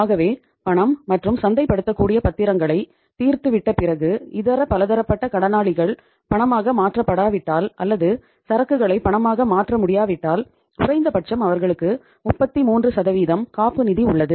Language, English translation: Tamil, So after exhausting the cash and marketable securities if sundry debtors are not convertible into cash or the inventory is not convertible into cash at least they have a cushion of 33%